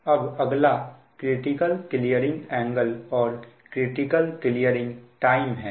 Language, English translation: Hindi, so next is that your critical clearing angle and critical your clearing times